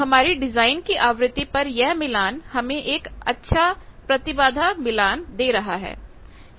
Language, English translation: Hindi, So, at design frequency this match gives a good impedance match